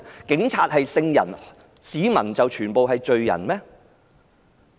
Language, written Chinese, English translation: Cantonese, 警察是聖人，市民全是罪人嗎？, Policemen are saints and people are all sinners?